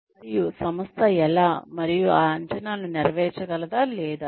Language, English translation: Telugu, And, how the organization, and whether those expectations, can be met or not